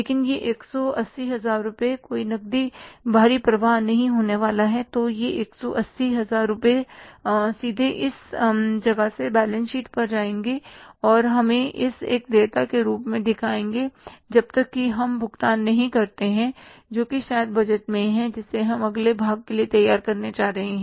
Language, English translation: Hindi, So, this 180,000 rupees will be straightway going from this place to the balance sheet and we will show it as a liability till we make the payment, maybe that is the budget we are going to prepare for the next quarter